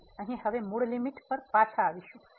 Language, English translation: Gujarati, So, here now getting back to the original limit